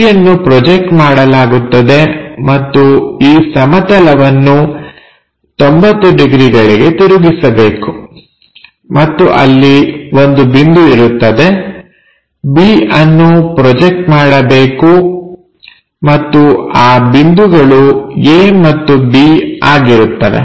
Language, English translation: Kannada, A will be projected and the plane has to be rotated by 90 degrees and there will be the point, b has to be projected and that point will be a and b